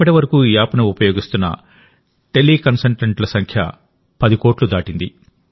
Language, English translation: Telugu, Till now, the number of teleconsultants using this app has crossed the figure of 10 crores